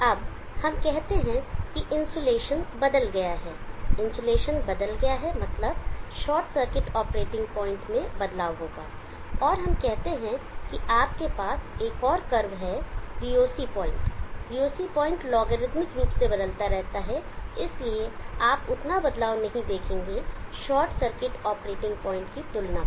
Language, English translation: Hindi, Now let us say the insulation of change, insulation of change means there will be a change in the short circuit operating point, and let us say you have another cup, the VOC point where is logarithmically, so you will not see that much of change has compared to the short circuit operating point